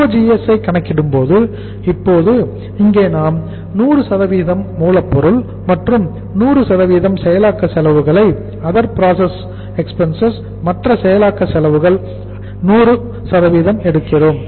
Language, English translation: Tamil, While calculating COGS what you will take here that is 100% of raw material plus 100% of processing other processing expenses OPE, other processing expenses 100% now